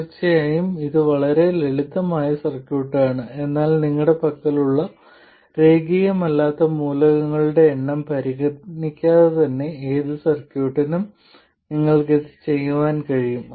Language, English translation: Malayalam, This is of course a very simple circuit but regardless of the number of nonlinear elements you have, you can do this for any circuit